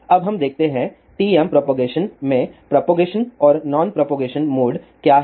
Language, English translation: Hindi, Now, let us see; what are the propagating and non propagating modes in TM propagation